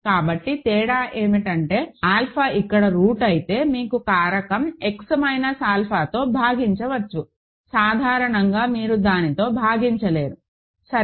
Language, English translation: Telugu, So, the difference is that you can divide by the factor X minus alpha if alpha is a root here, in general you cannot divide by it ok